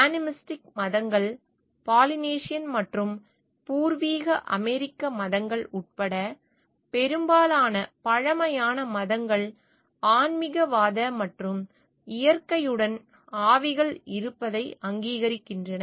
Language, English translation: Tamil, Animistic religions, most ancient religions including Polynesian and native American religions are animistic and recognize the existence of spirits with nature